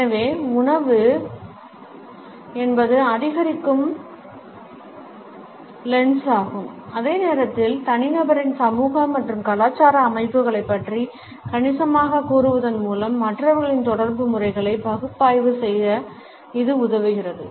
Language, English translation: Tamil, So, food is an increasing lens at the same time it helps us to analyse the communication patterns of the other people by telling us significantly about the social and cultural setups of the individual